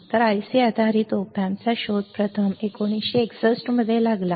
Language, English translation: Marathi, So, discreet IC based op amps was first invented in 1961 ok